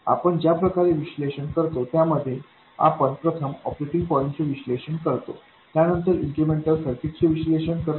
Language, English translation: Marathi, The way we do it is first we analyze the operating point then we analyze the incremental picture